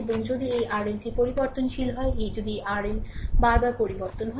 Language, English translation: Bengali, And if this R L is variable, if this R L is changing again and again